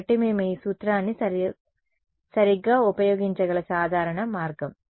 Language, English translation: Telugu, So, this is a typical way in which we can use this formula right